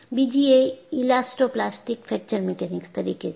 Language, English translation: Gujarati, Another one is Elastoplastic Fracture Mechanics